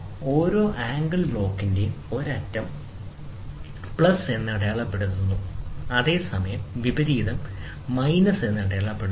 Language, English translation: Malayalam, One end of each angle block is marked plus, while the opposite is marked minus